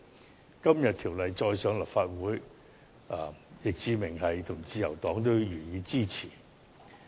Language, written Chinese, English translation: Cantonese, 相關議案今天再次提交立法會，易志明議員和自由黨也會予以支持。, This motion has been submitted once again to the Legislative Council today . Mr Frankie YICK and the Liberal Party will support this motion